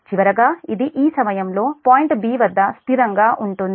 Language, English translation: Telugu, finally it will be stable at this point b